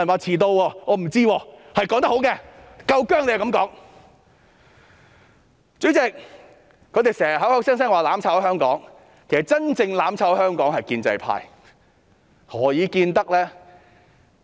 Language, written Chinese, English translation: Cantonese, 主席，他們經常口口聲聲說我們"攬炒"香港，其實真正"攬炒"香港的是建制派，何以見得呢？, President they often say that we are causing mutual destruction to Hong Kong yet it is the pro - establishment camp which is causing mutual destruction to Hong Kong in reality